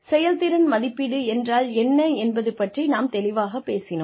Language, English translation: Tamil, We talked about, being clear on, what performance appraisal meant